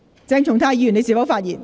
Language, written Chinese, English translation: Cantonese, 鄭松泰議員，你是否發言？, Dr CHENG Chung - tai are you going to speak?